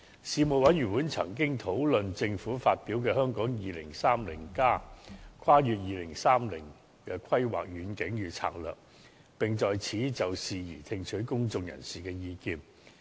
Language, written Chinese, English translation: Cantonese, 事務委員會曾經討論政府發表的《香港 2030+： 跨越2030年的規劃遠景與策略》，並就此事宜聽取公眾人士的意見。, The Panel discussed a review published by the Government titled Hong Kong 2030 Towards a Planning Vision and Strategy Transcending 2030 and received public views on the matter